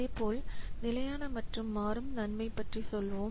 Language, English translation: Tamil, Similarly, let's say about fixed benefits versus variable benefits